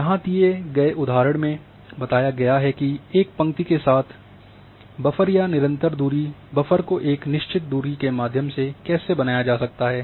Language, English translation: Hindi, And there is example is here along a line how the buffer is created through a fixed distance and a buffer or a constant distance buffer